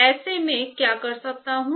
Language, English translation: Hindi, In that case what can I do